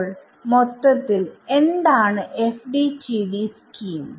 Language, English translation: Malayalam, So, what is the FDTD scheme all about